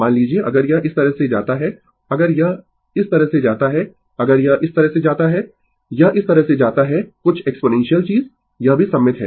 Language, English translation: Hindi, Suppose, if it is goes like this, if it is goes like this, if it is goes like this it is goes like this right some exponential thing this is also symmetrical right